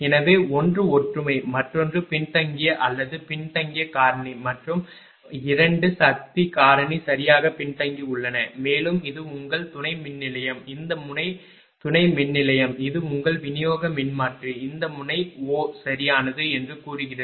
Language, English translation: Tamil, So, there one is unity, another is lagging or lagging power factor are the 12 lagging power factor right, and this is your substation this this node this is substation, and this is your distribution transformer say this node is O right